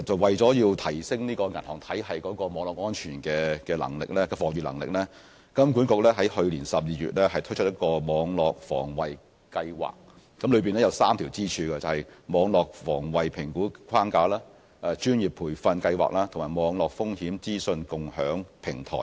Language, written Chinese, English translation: Cantonese, 為了提升銀行體系網絡安全的防禦能力，金管局於去年12月推出一項網絡防衞計劃，當中有3條支柱：網絡防衞評估框架、專業培訓計劃及網絡風險資訊共享平台。, To raise the resilience of the banking system in cyber security in December last year HKMA launched a Cybersecurity Fortification Initiative which consists of three pillars the Cyber Risk Assessment Framework the Professional Development Programme and the Cyber Intelligence Sharing Platform